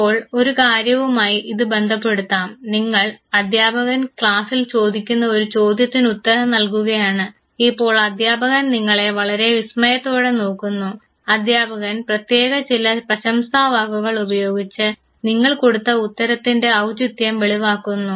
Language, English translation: Malayalam, Now, associate it with one thing, you answer a question ask by a teacher in the class and the teacher now looks at you with admiration, the teacher uses certain words inorder to admire the appropriateness of the response that you have given in the class